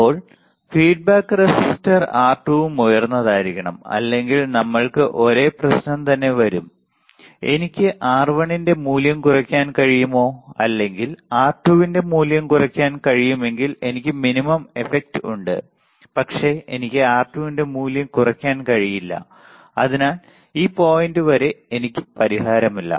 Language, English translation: Malayalam, Now, feedback resistor R2 must also be high otherwise we cannot have gain same problem right, the idea is if I can reduce value of R1 or if I can reduce the value of R2 then I have a minimum effect, but I cannot have reduce a value of R2 and that is why I do not have any solution till this point